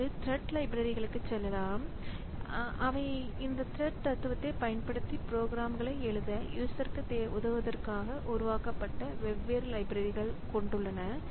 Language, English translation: Tamil, Now, going to thread libraries, so there are different libraries that have been created for helping the user to write programs using the using this threading philosophy